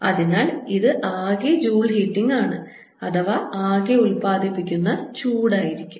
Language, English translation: Malayalam, so this is a total joule heating, total heat produced